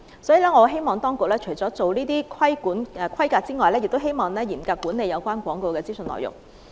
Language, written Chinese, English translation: Cantonese, 所以，我希望當局除了規管先進療法製品的規格外，亦要嚴格管理有關廣告的資訊內容。, I thus hope that apart from regulating the specifications of ATPs the authorities will also duly regulate the information contained in such advertisements